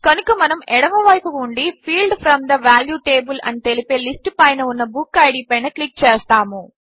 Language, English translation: Telugu, So we will click on book id on the left side list that says Field from the value table